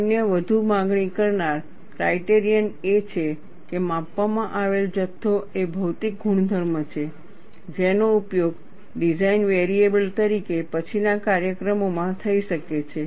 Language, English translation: Gujarati, The other, more demanding criterion is, the quantity being measured is a physical property that can be used in later applications as a design variable